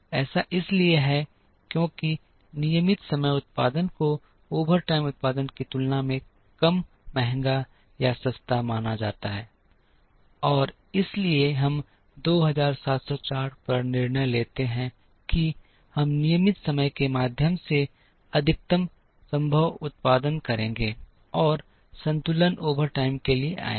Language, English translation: Hindi, This is because regular time production is assumed to be less costlier or cheaper than overtime production, and therefore, the moment we decide on 2704 we will produce the maximum possible through regular time, and the balance will come to the overtime